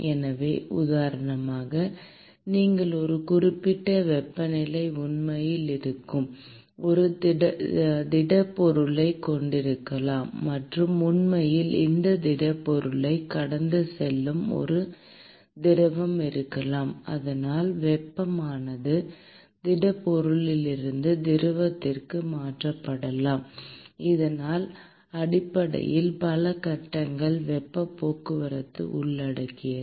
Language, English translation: Tamil, So, for instance, you may have a solid which is actually present at a certain temperature and there may be a fluid which is actually flowing past this solid object and so, the heat might be transferred from the solid to the fluid, so which basically involves heat transport in multiple phases